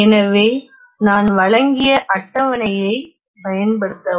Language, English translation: Tamil, So, use the table that I have provided